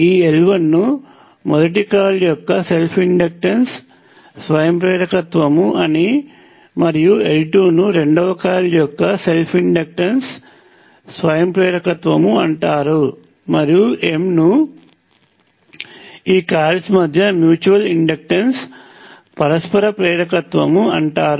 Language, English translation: Telugu, This L 1 is called the self inductance of coil number one; and L 2 is called self inductance of coil number two; and the M is called the mutual inductor between these coils